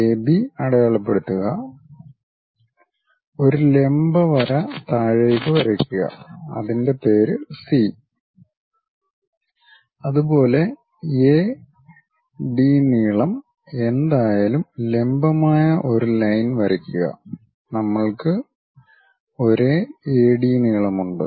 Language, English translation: Malayalam, Mark AB, drop A perpendicular line name it C; similarly, drop a perpendicular line whatever AD length is there, we have the same AD length